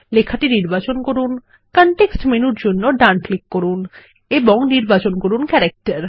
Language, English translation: Bengali, Select the text and right click for the context menu and select Character